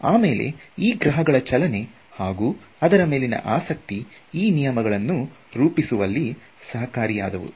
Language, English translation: Kannada, So, again the motion of planets and such objects was the main interest which led to all of these laws being formulated